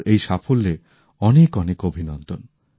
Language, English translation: Bengali, Many congratulations to her on this achievement